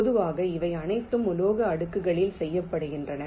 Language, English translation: Tamil, typically these are all done on metal layers